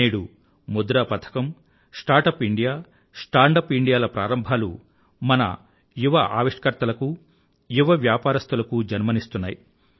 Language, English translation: Telugu, Today our monetary policy, Start Up India, Stand Up India initiative have become seedbed for our young innovators and young entrepreneurs